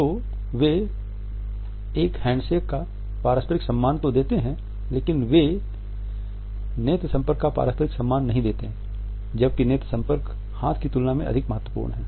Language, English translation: Hindi, So, they give that mutual respect of a handshake by they do not give that mutual respect of the eye contact and the eye contact is way more important than the hand